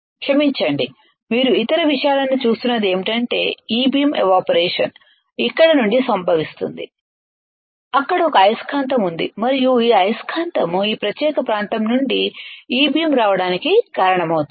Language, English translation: Telugu, Sorry now what you see other things is that the E beam evaporation occurs from here there is a source there is a magnet and this magnet will cause the E beam to come from this particular area